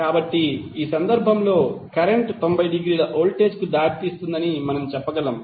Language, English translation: Telugu, So what we can say that in this case current will lead voltage by 90 degree